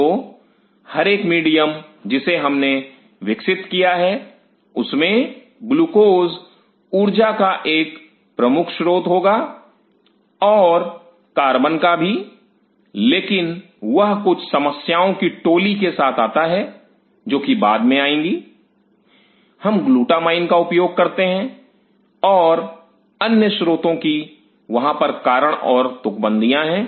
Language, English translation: Hindi, So, every medium what we develop will have glucose as one of the major sources of energy and more over carbon, but that comes with some set of problems which will be coming later we use glutamine and other sources there are reason and rhyme